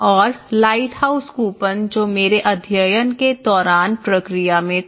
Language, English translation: Hindi, And in the lighthouse coupon that was in the process during my study